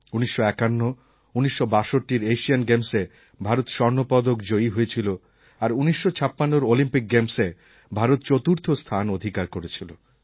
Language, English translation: Bengali, The Indian Football team won the gold medal at the Asian Games in 1951 and 1962, and came fourth in the 1956 Olympics